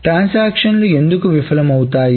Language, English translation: Telugu, So, why would transactions fail